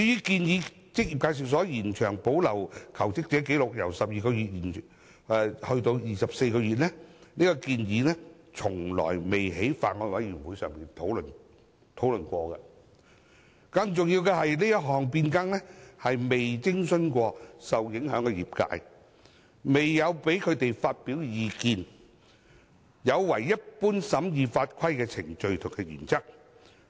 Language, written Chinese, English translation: Cantonese, 至於把職業介紹所保留求職者紀錄的期限由12個月延長至24個月，這項建議從未在法案委員會上討論過，更重要的是這項變更未徵詢過受影響的業界，未有讓他們發表意見，有違一般審議法規的程序和原則。, As regards the proposal to extend the required period for retention of jobseeker records by employment agencies from 12 months to 24 months it has never been discussed in the Bills Committee . More importantly the affected industry has not been consulted on such a change still less allowed to express views contrary to the standing procedures and principles of scrutiny of laws and regulations